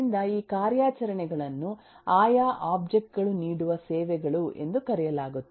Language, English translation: Kannada, this operations are known as the services offered by the respective objects